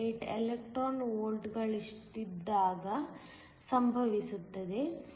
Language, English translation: Kannada, 48 electron volts